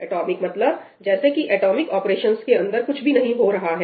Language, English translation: Hindi, Atomic means what appear as if nothing else is happening within that atomic operation